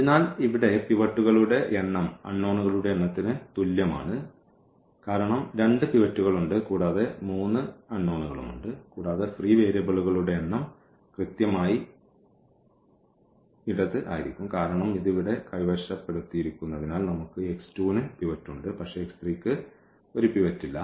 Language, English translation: Malayalam, So, here the number of pivots in a less than is equal to number of unknowns because there are two pivots and there are three unknowns and the number of free variables will be precisely the left one because this is occupied here we have pivot x 2 has a pivot, but x 3 does not have a pivot